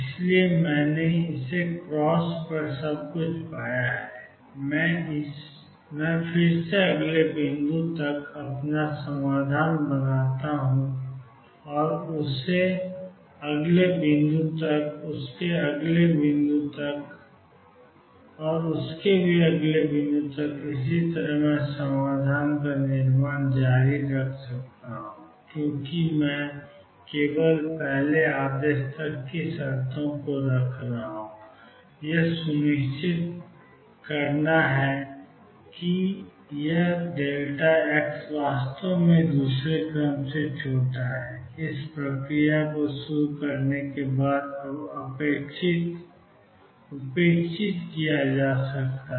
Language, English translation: Hindi, So, I found everything on this cross from here I again build my solution to the next point and from that to the next point, from that to the next point, from that to the next point and so on, I can keep building the solution because I am keeping terms only up to the first order, I have to make sure that this delta x is really small in the second order can be neglected now once we start with this process